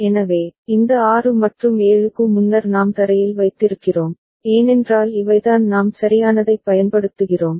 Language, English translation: Tamil, So, when this 6 and 7 earlier we have kept at ground because these are the ones that we are using right